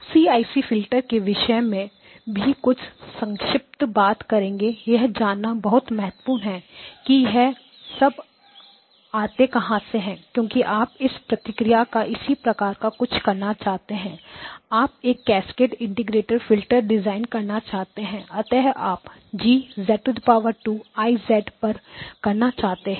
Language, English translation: Hindi, So we will talk a little bit more about CIC filters but the important thing to recognize is that this is; where did all of this come from, because you wanted to do something of this form where you wanted to design a cascaded integrated filter and so you wanted to do G's of z squared I of z